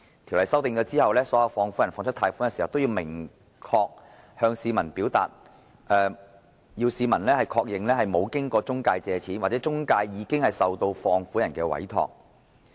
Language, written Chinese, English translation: Cantonese, 條款修訂後，所有放款人在貸出款項時，均須確定市民沒有經任何中介公司借款，或該中介公司已經接受放款人的委託。, After the conditions were amended every money lender in making a loan must ensure that the loan is not raised through any intermediary or the intermediary has been entrusted by the money lender